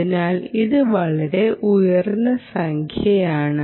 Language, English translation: Malayalam, so it's quite a high number